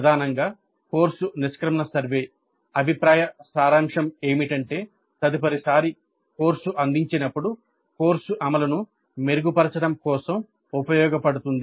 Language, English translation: Telugu, So primarily the course exit survey is a summative one and the feedback is for the purpose of improving the course implementation the next time the course is offered